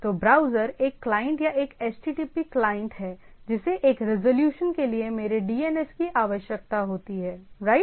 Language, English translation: Hindi, So, browser is a client or an http client which requires my DNS for a resolution right